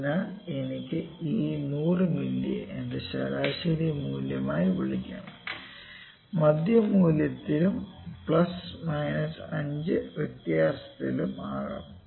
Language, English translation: Malayalam, So, I can call this 100 ml as my mean value, on the centre value and plus minus 5 can be the variation